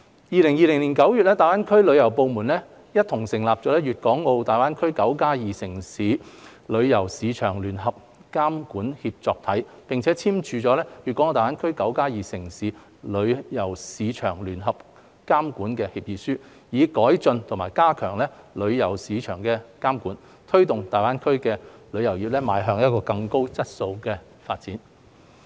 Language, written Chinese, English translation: Cantonese, 2020年9月，大灣區旅遊部門共同成立"粵港澳大灣區 '9+2' 城市旅遊市場聯合監管協作體"，並簽署《粵港澳大灣區 "9+2" 城市旅遊市場聯合監管協議書》，以改進和加強旅遊市場監管，推動大灣區旅遊業邁向更高質素的發展。, In September 2020 the tourism departments of the GBA cities jointly established the Joint Regulatory Alliance of the Tourism Market of 92 Cities in the Guangdong - Hong Kong - Macao Greater Bay Area and signed the Agreement on Joint Regulation of the Tourism Market of 92 Cities in the Guangdong - Hong Kong - Macao Greater Bay Area with a view to improving and strengthening tourism market regulation and promoting high - quality development of the GBA tourism industry